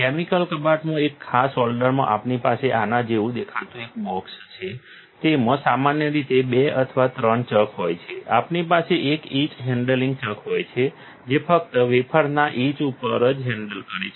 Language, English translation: Gujarati, In a special holder in the chemical cupboard, we have a box looking like this, it contains normally 2 or 3 chucks, we have an etch handling chuck that is only handling on the etch of the wafer